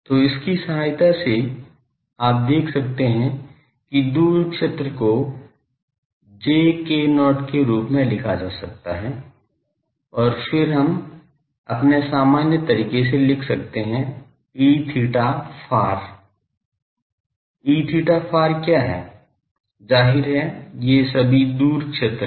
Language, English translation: Hindi, So, with the help of this you can see that the far field can be written as j k not and then we can write in our usual way, what is E theta far; obviously, these are all far field